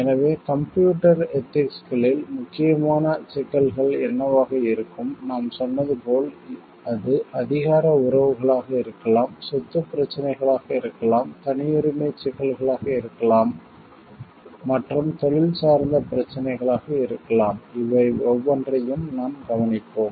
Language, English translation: Tamil, So, what will be the important issues in computer ethics, as we told like it could be power relationships, it could be property issues, it could be issues of privacy and it could be professional issues also we will be looking into each of these one by one